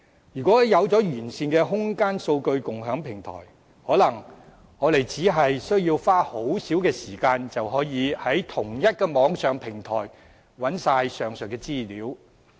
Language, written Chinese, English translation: Cantonese, 有完善的空間數據共享平台，可能我們只需要花很少時間，便能在同一個平台找到上述全部資料。, With a comprehensive CSDI perhaps we need only spend a little time to access all of the aforementioned information on the same platform